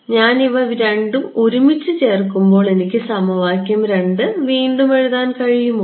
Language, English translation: Malayalam, So, when I put these two together, what is, can I rewrite equation 2